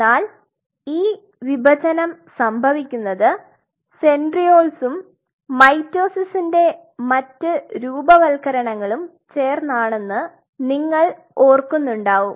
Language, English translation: Malayalam, But this division is being happening because of all those centrioles and all those formations of mitosis and all those things we remember